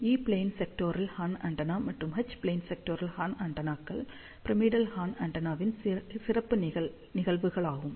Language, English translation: Tamil, As E plane sectoral horn antenna as well as H plane sectoral horn antennas are special cases of pyramidal horn antenna